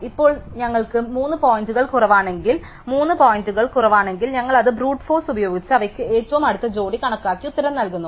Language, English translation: Malayalam, Now, if we have less than 3 points, 3 points are less then, we just do it by brute force compute them closest pair and return the answer